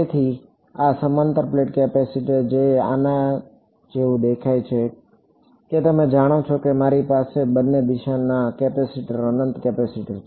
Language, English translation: Gujarati, So, this parallel plate capacitor which looks something like this that you know you have a capacitor infinite capacitor in both directions